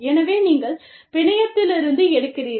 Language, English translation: Tamil, So, you take from the network